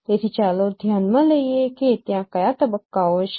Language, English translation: Gujarati, So let us consider that what are the stages are there